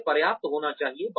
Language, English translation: Hindi, It has to be adequate